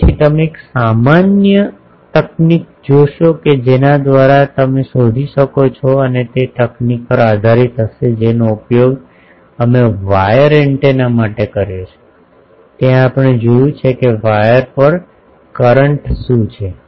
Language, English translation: Gujarati, So, we will see a general technique by which you can find out and that will be based on the technique we have used for wire antennas that there we have seen that what is the current on the wires